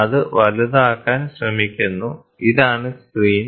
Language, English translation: Malayalam, So, then it tries to magnify and this is the screen